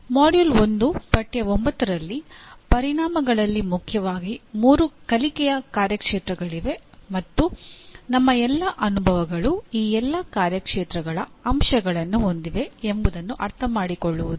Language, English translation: Kannada, The Module 1 Unit 9 the outcomes are understand that there are mainly three domains of learning and all our experiences have elements from all domains